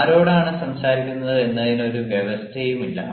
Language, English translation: Malayalam, ah, there is no provision as to who will speak whom